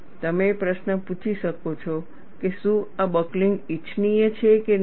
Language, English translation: Gujarati, You may ask the question, whether this buckling is desirable or not